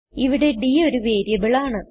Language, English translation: Malayalam, And here we have declared d as a character variable